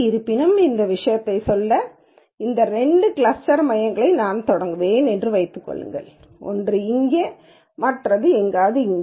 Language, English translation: Tamil, However, if just to make this point, supposing I start these two cluster centres for example, one here and one somewhere here